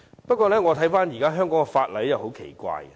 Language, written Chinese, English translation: Cantonese, 不過，我翻閱現時香港的法例後，覺得很奇怪。, However I found it quite strange after studying the laws of Hong Kong